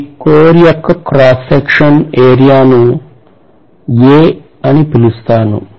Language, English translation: Telugu, Let me call this area of cross section of this core as A